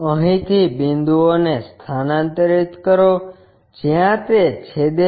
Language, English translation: Gujarati, From here transfer the points, so that it intersects